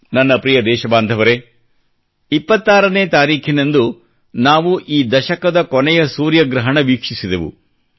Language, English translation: Kannada, My dear countrymen, on the 26th of this month, we witnessed the last solar eclipse of this decade